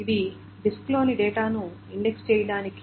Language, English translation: Telugu, So these are for indexing the data on the disk